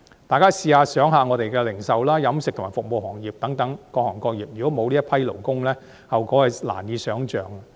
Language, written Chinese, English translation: Cantonese, 大家試想想，我們的零售、飲食及服務行業等各行各業，如果沒有這群勞工，後果實在難以想象。, Members can come to imagine this . If our various industries such as retail catering and service industries are stripped of these workers the repercussion will be inconceivable indeed